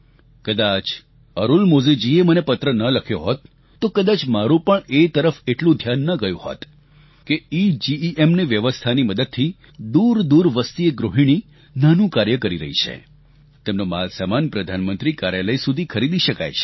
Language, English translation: Gujarati, Had Arulmozhi not written to me I wouldn't have realised that because of EGEM, a housewife living far away and running a small business can have the items on her inventory purchased directly by the Prime Minister's Office